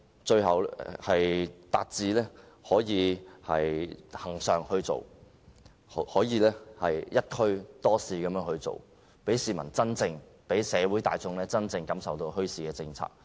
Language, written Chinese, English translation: Cantonese, 最後，我們希望墟市達致恆常化，可以"一區多市"，讓市民、社會大眾真正感受到墟市的政策。, Finally we hope that bazaars can be held on a regular basis and the objective of multiple bazaars in a district can be achieved so that the general public can well understand the policy on bazaars